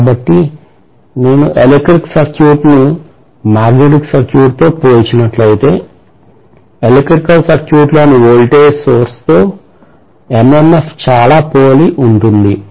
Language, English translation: Telugu, So we are going to say that if I compare an electrical circuit with that of a magnetic circuit, MMF will be very analogous to whatever is the voltage source in an electrical circuit